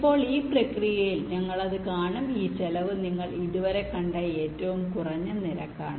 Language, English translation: Malayalam, now, in this process we will see that ah, this cost is the minimum one you have seen so far